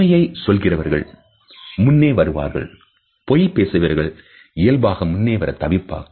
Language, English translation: Tamil, People who are telling the truth tend to be more forth coming with information then liars who are naturally evasive